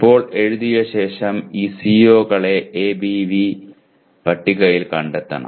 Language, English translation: Malayalam, Now having written, we have to locate these COs in the ABV table